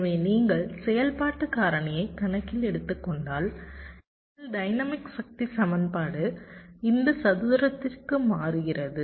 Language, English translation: Tamil, so if you take the activity factor into account, our dynamics power equation changes to this square